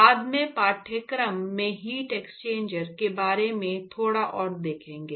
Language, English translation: Hindi, Will see a little bit more about heat exchangers later down in the course